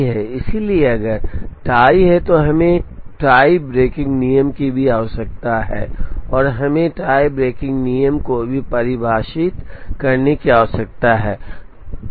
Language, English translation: Hindi, So, if there is tie, we need a tie breaking rule also, and we need to define a tie breaking rule also